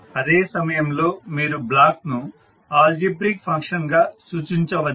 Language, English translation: Telugu, At the same time you can represent the block as an algebraical function